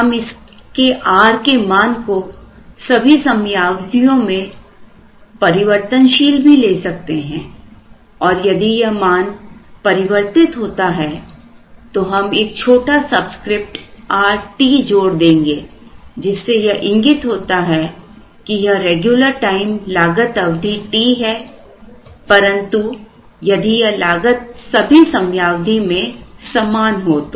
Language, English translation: Hindi, We could have this r changing across all periods and if it changes then we would add a small subscript R t which says this is the regular time costing period t, but if this cost is going to be same across all periods